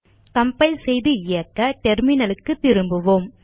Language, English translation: Tamil, Let us compile and execute come back to our terminal